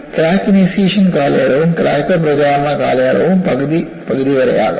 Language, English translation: Malayalam, So, there could be a point where crack initiation period and crack propagation period may be fifty fifty